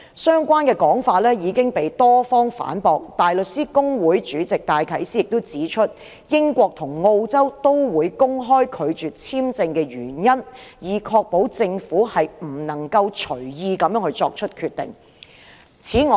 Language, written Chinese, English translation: Cantonese, 相關的說法已經被多方反駁，香港大律師公會主席戴啟思指出，英國及澳洲均會公開拒絕簽證的原因，以確保政府不能隨意作出決定。, Such a view was refuted by many parties . Philip DYKES Chairman of the Hong Kong Bar Association has pointed out that both the United Kingdom and Australia make public the reasons for the refusal to grant visas so as to ensure that the Government will not make a decision arbitrarily